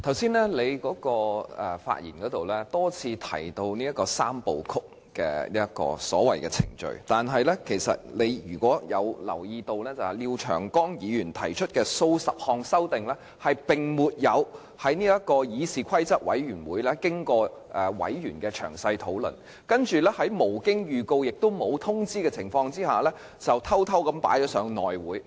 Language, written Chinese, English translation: Cantonese, 主席，剛才你在發言時多次提到所謂的"三部曲"程序，如果你有留意的話，廖長江議員提出的數十項修訂建議並沒有經過議事規則委員會委員的詳細討論，而且是在無經預告，即沒有作出預告的情況下偷偷提交內務委員會。, President you have mentioned the so - called three - step process time and again in your speech . If you had paid attention you should have noticed that the dozens of proposed amendments moved by Mr Martin LIAO had not gone through any in - depth discussion of CRoP before being secretly presented to the House Committee without notice meaning that no prior notice had been given